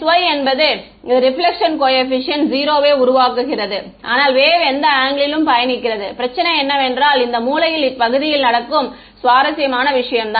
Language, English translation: Tamil, That is making the reflection coefficient 0, but the wave is travelling at any angle does not matter the trouble is I mean the interesting thing happening at this corner region over here right